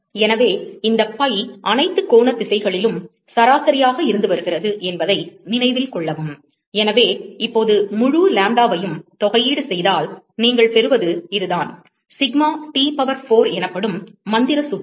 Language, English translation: Tamil, So, note that, this pi comes from the, averaging over all the angular directions, and so, now, if we integrate over whole lambda, what you get is this, magical formula called sigma T power four